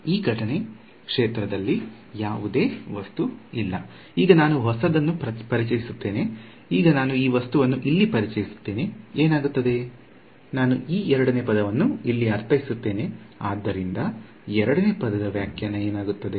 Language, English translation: Kannada, So, this is the incident field no object, now we introduce a new; now we introduce this object over here, what happens is I interpret this second term over here as so what should the interpretation of the second term